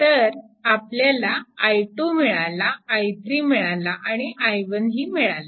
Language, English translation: Marathi, So, that we have i 2 plus i 3 we are writing here, right